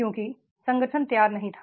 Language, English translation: Hindi, Because the organization was not ready